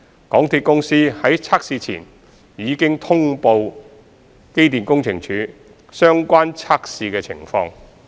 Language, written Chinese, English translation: Cantonese, 港鐵公司在測試前已通報機電署相關測試情況。, MTRCL has notified EMSD of the relevant testing conditions before the tests